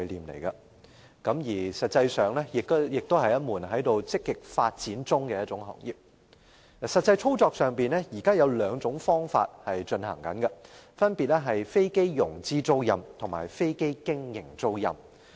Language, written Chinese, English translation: Cantonese, 事實上，這也是一門在積極發展中的行業。在實際操作上，現時的營運方式有兩種，分別為飛機融資租賃及飛機經營租賃。, In fact aircraft leasing is a trade which has been actively developing . In actual operation there are two forms of leasing namely finance lease and operating lease